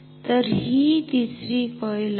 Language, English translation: Marathi, So, this is the 3rd coil ok